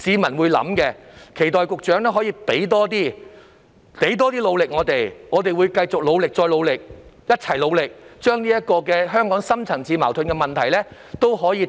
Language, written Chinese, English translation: Cantonese, 我期待局長可以付出更多努力，我們亦會繼續努力再努力，一同面對香港的深層次矛盾問題。, I hope the Secretary will make more efforts . We will also make continuous efforts to resolve the deep - rooted conflicts in Hong Kong together